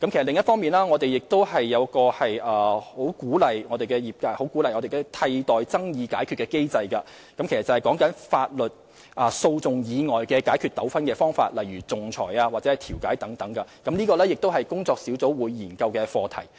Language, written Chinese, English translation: Cantonese, 另一方面，我們十分鼓勵業界採用替代爭議解決機制，意思是在法律訴訟以外解決糾紛的方法，例如仲裁或調解等，而這也是工作小組會研究的課題。, On the other hand we very much encourage the industries to adopt an alternative dispute resolution process to settle disputes by means outside of the courtroom such as arbitration and conciliation . This is also an issue that will be studied by the working group